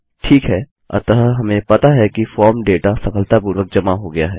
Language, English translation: Hindi, Ok so, we know that the form data has been submitted correctly